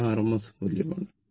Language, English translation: Malayalam, So, you take rms value